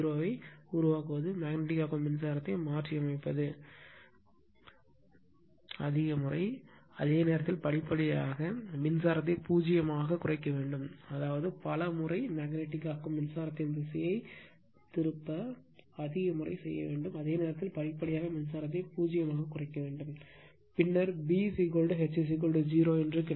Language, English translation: Tamil, By reversing the magnetizing current say I, a large number of times while at the same time gradually reducing the current to zero that means, several times you have to see you have to reverse the direction of the your magnetizing current, I mean large number of times, and while at the same time gradually you have to reduce in the current to zero, then only you will get B is equal to H is equal to 0